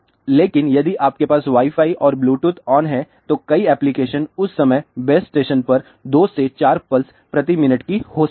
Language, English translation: Hindi, But, if you have Wi Fi on and bluetooth on and so, many applications on then it maybe 2 to 4 pulses per minute to the base station